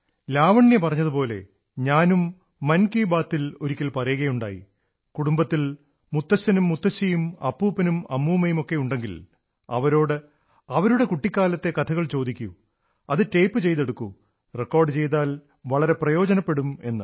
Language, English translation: Malayalam, And as you said, once in Mann Ki Baat I too had asked you all that if you have grandfathergrandmother, maternal grandfathergrandmother in your family, ask them of stories of their childhood and tape them, record them, it will be very useful, I had said